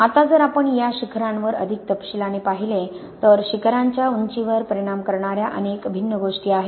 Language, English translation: Marathi, Now if we look in more detail at these peaks, there are many, many different things that can impact the height of the peaks